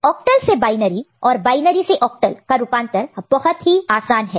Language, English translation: Hindi, It is very easy to convert from octal to binary, and binary to octal